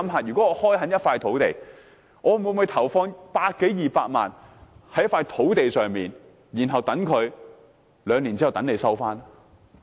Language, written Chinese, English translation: Cantonese, 試想想，我會否投放百多二百萬元開墾土地，然後等土地持有者在兩年後收回？, Come to think about it . Will I invest 1 million or 2 million to open up a site and wait for the land owner to reclaim the site two years later?